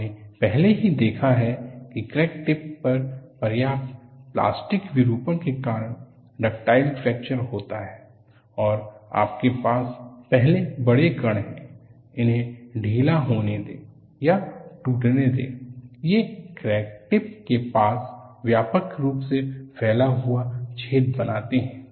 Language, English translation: Hindi, We have seen already that ductile fracture occurs due to substantial plastic deformation at the crack tip, and what you have is, first the large particles, let loose or break, forming widely spaced holes close to the crack tip